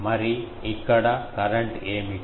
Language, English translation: Telugu, And what is the current here